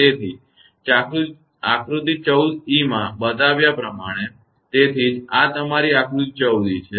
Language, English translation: Gujarati, So, as shown in figure 14 e; so, this is your figure 14 e